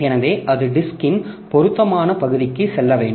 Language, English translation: Tamil, So, that needs to move to the appropriate portion of the disk